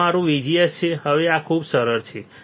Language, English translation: Gujarati, This is my VGS now this much is easy